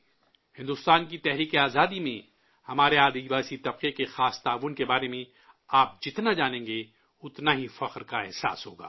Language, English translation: Urdu, The more you know about the unique contribution of our tribal populace in the freedom struggle of India, the more you will feel proud